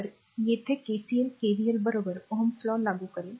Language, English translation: Marathi, So, KCL here KVL will apply ohms' law along with KVL